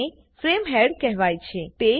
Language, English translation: Gujarati, This is called the frame head